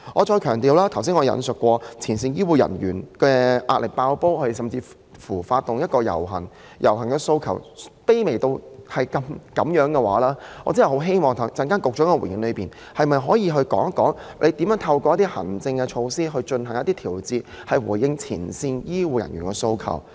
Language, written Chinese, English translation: Cantonese, 正如我剛才強調，前線醫護人員壓力"爆煲"，以致要發起遊行，但他們的訴求卻是如此卑微，我真的很希望局長稍後回應時可以說明如何能透過行政措施進行調節，以回應前線醫護人員的訴求。, As I stressed just now the pressure on frontline healthcare personnel has already brought them to the brink of collapse and this explains why they must stage a protest . But their demands are actually very humble . I really very much hope that the Secretary can explain how adjustments can be made through administrative measures in her replay later on as a response to the demands of frontline healthcare personnel